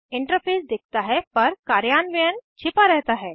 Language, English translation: Hindi, The interface is seen but the implementation is hidden